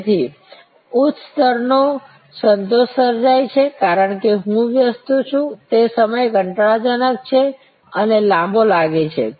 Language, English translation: Gujarati, And thereby higher level of satisfaction is created, because I am occupied time is boring and it feels longer